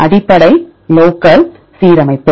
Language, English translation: Tamil, Basic local alignment